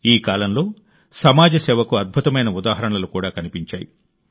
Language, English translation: Telugu, During this period, wonderful examples of community service have also been observed